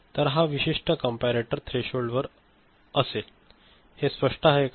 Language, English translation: Marathi, So, it is for this particular comparator it is about the threshold, is it clear